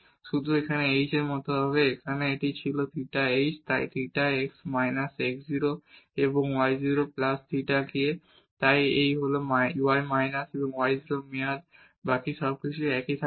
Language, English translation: Bengali, Only this h will be like here the it was theta h so theta x minus x 0 and y 0 plus theta k so this is y minus y 0 term, the rest everything will remain the same